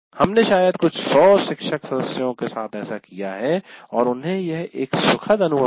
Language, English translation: Hindi, We have done this with maybe a few hundred faculty and it is certainly an enjoyable experience